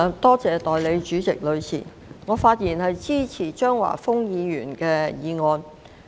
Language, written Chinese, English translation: Cantonese, 代理主席，我發言支持張華峰議員的議案。, Deputy President I speak in support of the motion of Mr Christopher CHEUNG